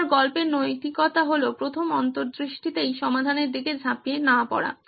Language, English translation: Bengali, Again the moral of the story here is don’t jump to solutions at the first insight itself